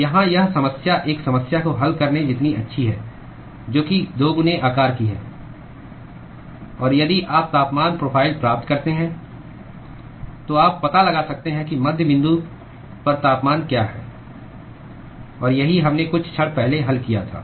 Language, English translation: Hindi, So, this problem here is as good as solving a problem which is twice the size; and if you get the temperature profile, you can find out what is the temperature at the midpoint; and that is what we solved a few moments ago